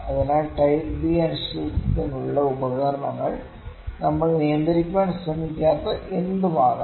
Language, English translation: Malayalam, So, the examples for the type B uncertainty can be anything that we are not trying to control, ok